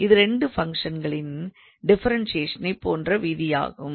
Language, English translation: Tamil, So, it is the similarly like a rule like differentiation of 2 functions